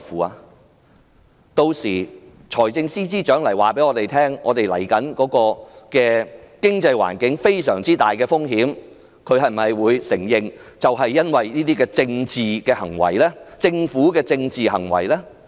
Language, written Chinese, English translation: Cantonese, 若日後財政司司長告知我們，經濟環境面臨重大風險，他會承認是政府這些政治行為所致的嗎？, If one day the Financial Secretary tells us that our economic environment is facing great risks will he admit that the Governments political act is the contributing factor?